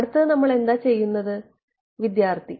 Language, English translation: Malayalam, Next is next what do we need to do